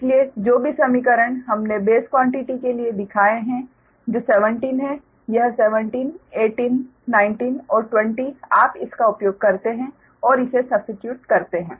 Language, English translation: Hindi, so whatever, whatever equations we have shown for base quantities, that is seventeen, this seventeen, eighteen, nineteen and twenty, you use that and substitute their